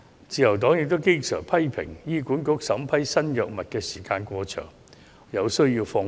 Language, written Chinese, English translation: Cantonese, 自由黨經常批評醫管局審批新藥物時間過長，有需要放寬。, The Liberal Party always criticizes HA for the long time it takes for vetting and approving new drugs and the procedures need to be relaxed